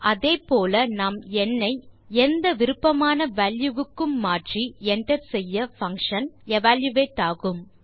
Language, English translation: Tamil, Similarly we can change n to any desired value and hit enter and the function will be evaluated